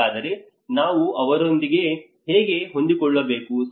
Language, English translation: Kannada, So how we have to adjust with that